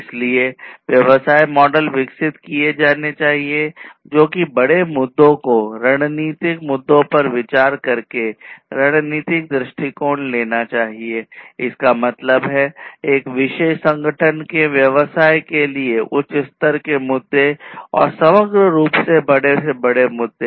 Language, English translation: Hindi, So, business models are have to be developed which should take the strategic approach by considering the bigger issues the strategic issues; that means, high level issues for a particular organization business and the greater issues overall